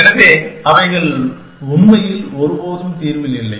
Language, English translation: Tamil, So, that they never figure in the solution actually